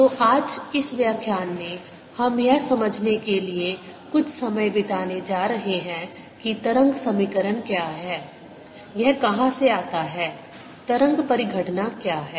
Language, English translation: Hindi, so in this lecture today, we are going to spend some time to understand what wave equation is, where it comes from, what wave phenomenon is